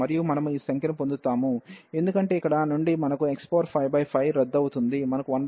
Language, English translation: Telugu, And we will get these number, because from here we will get x 5 by 5 and this 5 will get cancel, we will get 1 by 6